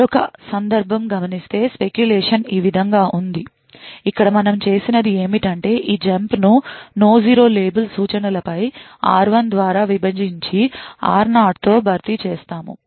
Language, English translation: Telugu, Another case where speculation is also observed is in something like this way, here what we have done is that we have replaced this jump on no 0 label instruction with a divided r0 by r1